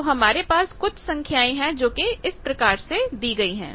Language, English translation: Hindi, So, we have some value that is given by these